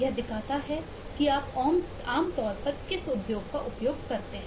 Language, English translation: Hindi, the kind of strength that it shows is what industry you typically use